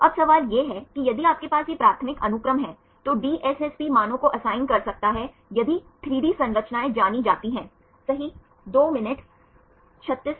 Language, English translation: Hindi, So, now the question is if you have this primary sequence, right DSSP can assign the values if the 3D structures are known right